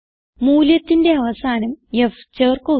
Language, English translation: Malayalam, And add an f at the end of the value